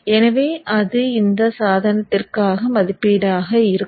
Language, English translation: Tamil, So that would be the rating for this device